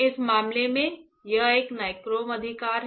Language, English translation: Hindi, In this case, it is a nichrome right